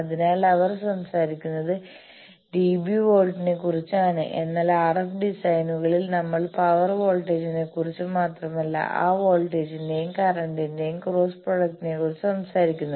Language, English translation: Malayalam, So, dB volt is the one that they talk of, but in RF designs we talk of power not only voltage, but the cross product of that voltage and current that gives us the power